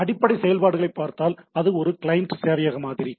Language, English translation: Tamil, So, if we look at the basic operations so, it is a client server model